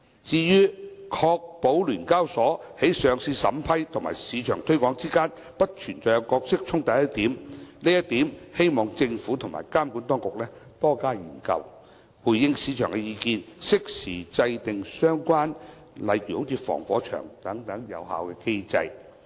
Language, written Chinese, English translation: Cantonese, 至於"確保聯交所在上市審批與市場推廣之間不會存在角色衝突"一點，希望政府和監管當局多加研究，回應市場的意見，適時制訂例如防火牆等相關有效機制。, Concerning to ensure that SEHK has no conflict of roles between vetting and approving listings and marketing I hope that the Government and the regulators can conduct more studies in order to respond to the views of the market and to formulate timely and effective mechanism like firewalls